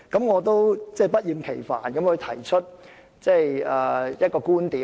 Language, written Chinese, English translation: Cantonese, 我必須不厭其煩地提出一個觀點。, I must repeat the following viewpoint again